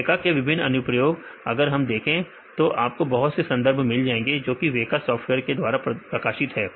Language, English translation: Hindi, So, there are various applications in weka; if you see the lot of papers they published using weka software